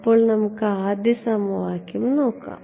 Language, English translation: Malayalam, So, let us look at the first equation